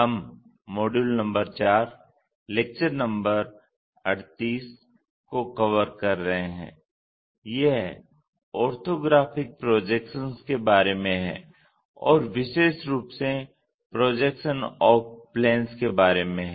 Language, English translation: Hindi, We are covering Module number 4, Lecture number 38, it is about Orthographic Projections especially Projection of planes